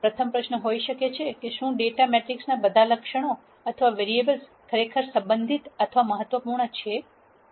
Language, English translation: Gujarati, The rst question might be; Are all the attributes or variables in the data matrix really relevant or impor tant